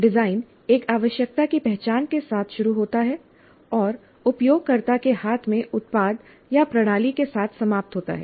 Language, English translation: Hindi, The design begins with identification of a need and ends with the product or system in the hands of a user